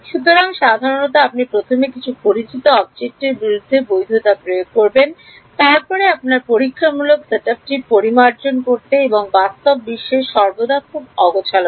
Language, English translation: Bengali, So, typically you would first validate against some known object then use that to refine your experimental setup and back and forth the real world is always very messy